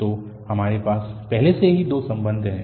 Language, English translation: Hindi, So, we got already two relations